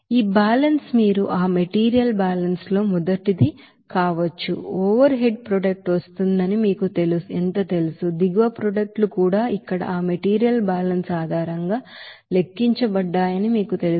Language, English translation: Telugu, Now, if we do the you know, balance now this balance may be first of all you have to do that material balance how much you know that overhead product is coming, how much you know bottom products is coming also to be you know calculated based on that material balance here